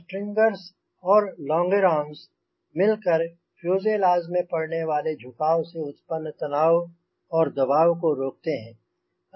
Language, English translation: Hindi, strangers and longerons prevent tension and compression from bending the fuselage